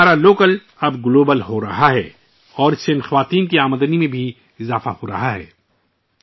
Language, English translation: Urdu, That means our local is now becoming global and on account of that, the earnings of these women have also increased